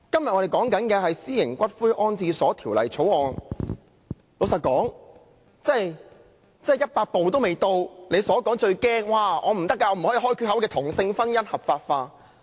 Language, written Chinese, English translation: Cantonese, 我們今天辯論的是《私營骨灰安置所條例草案》，老實說，真的再走一百步也未到他害怕的打開缺口令同性婚姻合法化。, Today our debate is on the Private Columbarium Bill the Bill . Honestly it is too far - fetched to talk about opening a gap for legalization of same - sex marriage . We may not have reached that stage even if we take a hundred steps forward